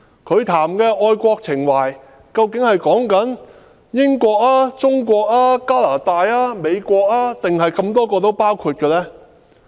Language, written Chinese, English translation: Cantonese, 他們所說的愛國情懷，究竟是指英國、中國、加拿大、美國或全部都包括在內？, Is their patriotic sentiment meant for the United Kingdom China Canada the United States or all of them?